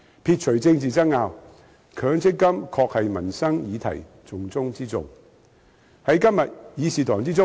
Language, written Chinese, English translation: Cantonese, 撇除政治爭拗，強積金確是民生議題的重中之重。, Leaving aside political wrangling MPF is indeed a top priority when it comes to livelihood issues